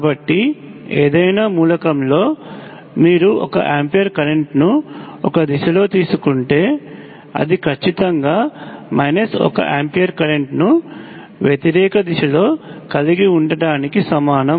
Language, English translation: Telugu, So in any element, if you take 1 ampere of current in one direction, it is exactly equivalent to having minus 1 ampere of current in the opposite direction